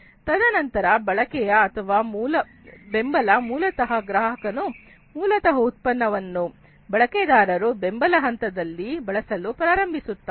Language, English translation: Kannada, And then use or support is basically the customer basically starts to use the product in the user support phase